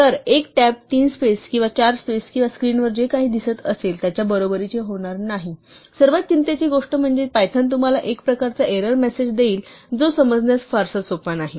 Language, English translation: Marathi, So, one tab is not going to be equal to three spaces or four spaces or whatever you see on the screen; and the more worried thing is the python will give you some kind of error message which is not very easy to understand